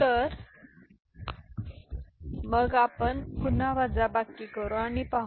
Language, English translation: Marathi, So, then again we perform the subtraction and see